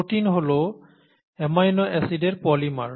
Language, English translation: Bengali, They are polymers of amino acids